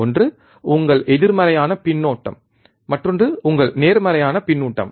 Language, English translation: Tamil, One is your negative feedback, another one is your positive feedback